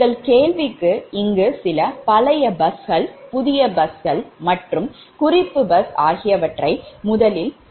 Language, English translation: Tamil, so this is actually, we have assume, some old bus, new bus and reference bus bus